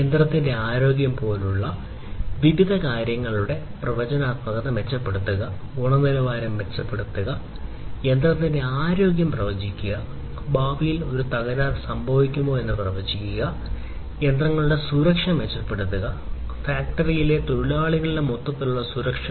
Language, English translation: Malayalam, Improving the quality, improving the predictive predictability; predictability of different things like the health of the machine; in the future predicting the health of the machine, predicting whether a fault can happen in the future and so on, and improving the safety of the machinery and the safety, overall safety of the workers in the factories